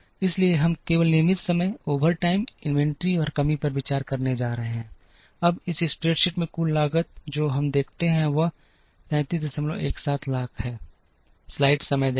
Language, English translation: Hindi, So, we are going to consider only regular time, overtime, inventory, and shortage, now in this spreadsheet the total cost that we see is 33